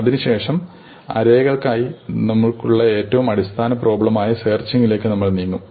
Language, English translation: Malayalam, We will then move to the most basic problem that we have for arrays, which is to search an array for an element